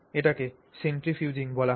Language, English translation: Bengali, So it is called centrifuging